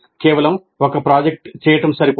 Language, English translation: Telugu, Merely doing a project is not adequate